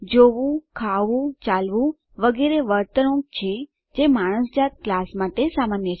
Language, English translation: Gujarati, Seeing, eating, walking etc are behaviors that are common to the human being class